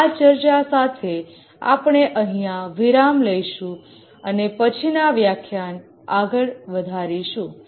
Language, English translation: Gujarati, With this discussion, we'll just stop here and continue in the next lecture